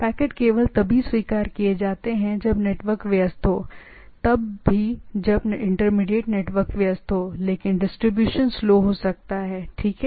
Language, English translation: Hindi, Packets are accepted only even when the network is busy even when in the intermediate network is busy, that the packets can be accepted and delivery may be slow, right